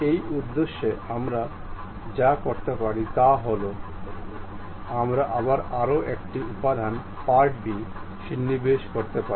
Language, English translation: Bengali, For that purpose, what we can do is, we can again insert one more component perhaps part b done